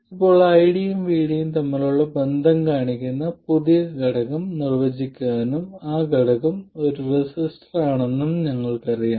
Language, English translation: Malayalam, Now we already know that we can define a new element which approximately shows the relationship between ID and VD and that element is a resistor